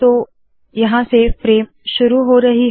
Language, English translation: Hindi, So this is where the frame starts